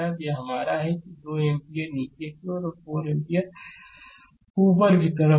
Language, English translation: Hindi, So, this is your that 2 ampere downwards and this is 4 ampere your upwards right